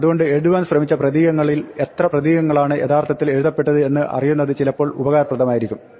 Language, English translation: Malayalam, So, it is useful sometimes to know how many characters actually got written out of the characters that tried to write